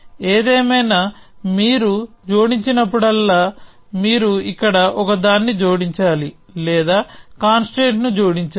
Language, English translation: Telugu, Anyway it says whenever you add this, you have to also add one here or add a constraint